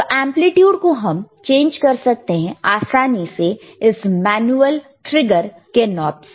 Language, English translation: Hindi, iIf you want to change the amplitude, you can easily change using the manual trigger